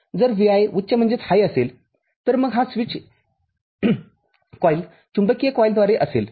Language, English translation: Marathi, If Vi is high, then this switch is drawn may be through a coil, magnetic coil